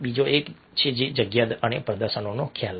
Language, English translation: Gujarati, the other one is space and the concept of territory